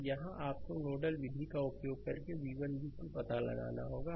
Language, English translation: Hindi, So, here you have to find out v 1 and v 2 right using nodal method